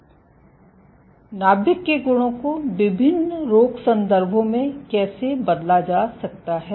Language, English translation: Hindi, And how properties of the nucleus are altered in various disease contexts